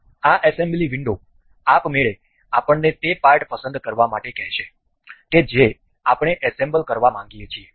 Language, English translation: Gujarati, And this assembly window will automatically ask us to select the parts that have that we wish to be assembled